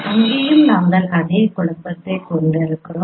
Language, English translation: Tamil, And they are also we are having the same confusion